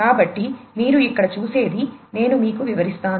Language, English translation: Telugu, So, as you can see over here let me just explain it to you